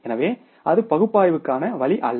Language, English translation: Tamil, So, that is not the way of analysis